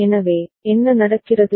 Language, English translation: Tamil, So, what is happening